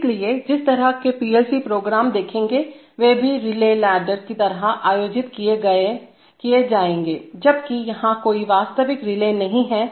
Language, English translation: Hindi, So, the kind of PLC programs that will see, they are also, they will also be organized like relay ladders, while there is no real relay here